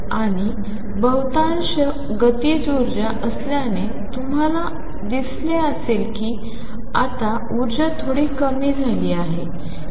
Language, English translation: Marathi, And since the majority of energy is kinetic you will see that now the energy gets lowered a bit